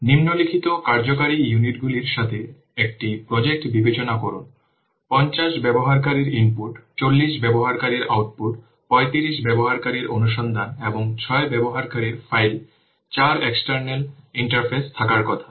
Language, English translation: Bengali, There are suppose in that project there are 50 user inputs, 40 user outputs, 35 user inquiries and 6 user files for external interfaces